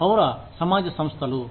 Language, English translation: Telugu, Civil society organizations